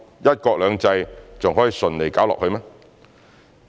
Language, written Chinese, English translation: Cantonese, '一國兩制'還能順利搞下去嗎？, Could one country two systems still be run smoothly?!